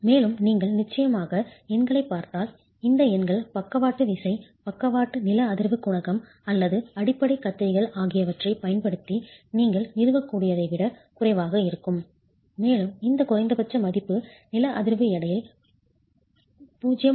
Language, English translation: Tamil, And if you look at the numbers, of course these numbers are going to be lower than what you can establish using the base the lateral force, lateral seismic coefficient of the base shares and these minimum values are 0